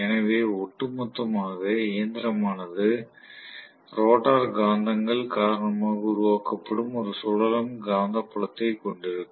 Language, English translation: Tamil, So, on the whole the machine will have a revolving magnetic field physically created it because of the rotor magnets